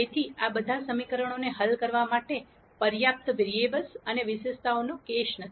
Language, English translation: Gujarati, So, this is the case of not enough variables or attributes to solve all the equations